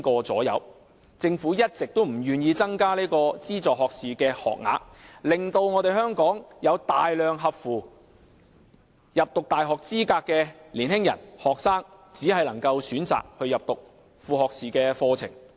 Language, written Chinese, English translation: Cantonese, 政府一直不願意增加資助學士學額，令香港有大量符合入讀大學資格的年輕學生只能選擇入讀副學士課程。, The Government has all along been unwilling to increase the number of funded undergraduate places thus a large number of young students meeting university entrance requirement in Hong Kong can only opt for associate degree programmes